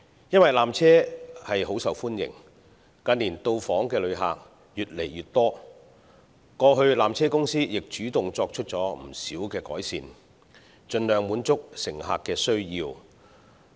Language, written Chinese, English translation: Cantonese, 由於纜車甚受歡迎，近年到訪旅客亦越來越多，過去纜車公司曾主動作出不少改善，盡量滿足乘客的需要。, As the peak tramway is very popular with tourists and has to serve an increasing number of passengers in recent years PTC has taken the initiative to make a number of improvements in the past to cope with passengers needs as far as possible